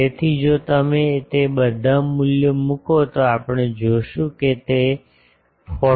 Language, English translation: Gujarati, So, if you put all those values we will see it is comes to be 49